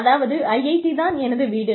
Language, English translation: Tamil, So, IIT says, we have a name